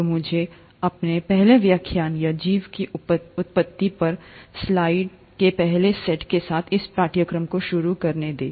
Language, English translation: Hindi, So let me start this course with my first lecture or rather first set of slides on origin of life